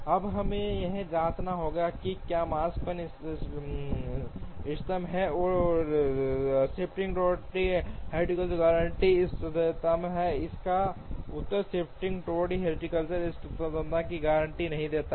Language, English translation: Hindi, Now, we have to check whether this Makespan is optimal or does the shifting bottleneck heuristic guarantee optimality, the answer is the shifting bottleneck heuristic does not guarantee optimality